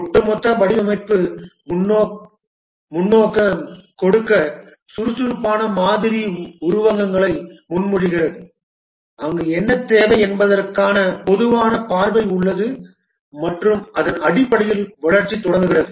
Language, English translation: Tamil, To give a overall design perspective, Agile model proposes metaphors where there is a common vision of what is required and based on that the development starts